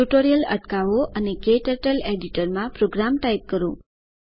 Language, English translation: Gujarati, Pause the tutorial and type the program into KTurtle editor